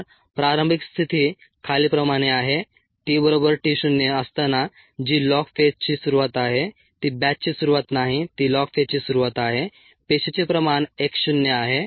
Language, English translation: Marathi, so the initial condition is as follows: at time t equals t zero, which is the beginning of the log phase, is not the beginning of the batch, it is the beginning of the log phase